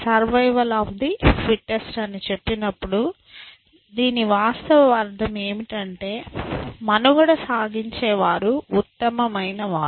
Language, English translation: Telugu, When you say survival of the fittest, what we really mean is that, the once who survives are the fittest essentially